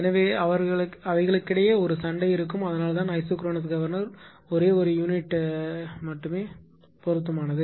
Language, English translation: Tamil, So, there will be a fight among them that is why isochronous governor is suitable for only one generating unit right